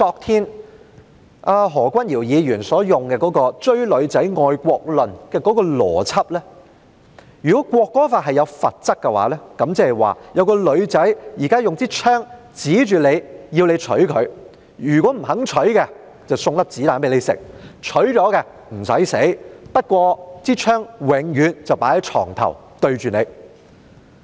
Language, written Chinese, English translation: Cantonese, 根據何君堯議員昨天採用的"追女仔"愛國論邏輯，如果《條例草案》訂明罰則的話，即是說有一位女士現在用槍指着你，要你娶她，如果你不娶她，便向你開槍；你娶她的話，你便不用死，不過，這把槍將永遠放在床頭對着你。, According to the logic of Dr Junius HOs theory of patriotism which compares patriotism to chasing a girlfriend as expounded by him yesterday the stipulation of penalty in the Bill would be tantamount to a woman pointing a gun at you to make you marry her . If you do not marry her she would fire at you; and if you marry her you do not have to die but this gun will be forever placed at your bedside pointing at you